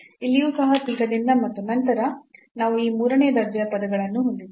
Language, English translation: Kannada, So, here the t will be replaced by this theta, here also by theta and then we have this third order terms